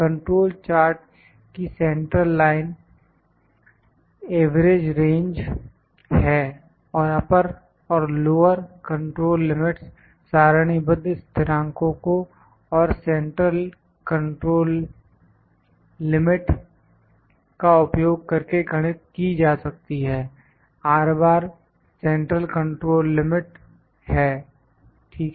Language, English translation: Hindi, The central line of the control chart is the average range and the upper and lower control limits are computed using tabulated constants and the central control limit is just the R bar, ok